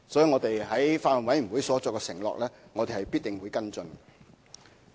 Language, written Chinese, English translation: Cantonese, 我們在法案委員會上作出的承諾，我們必定會跟進。, We will definitely follow up on the pledges made at the Bills Committee